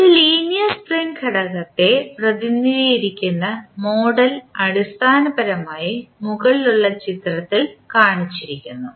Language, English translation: Malayalam, The model representing a linear spring element is basically shown in the figure above